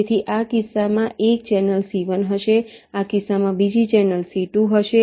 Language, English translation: Gujarati, so there will be one channel, c one in this case